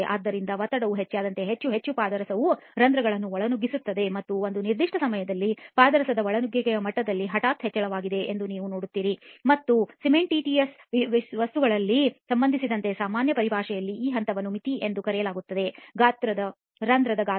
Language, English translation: Kannada, So as the pressure increases, more and more mercury intrudes the pores right and at a certain point you will see that there is a sudden increase in the levels of intrusion of the mercury and that point in general terminology with respect to cementitious materials is called the threshold pore size